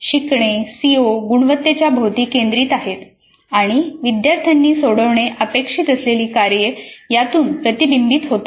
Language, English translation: Marathi, Learning is focused around this CO competency and the tasks students are expected to solve reflect this